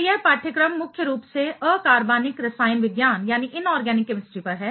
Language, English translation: Hindi, So, this course is mainly on Inorganic Chemistry right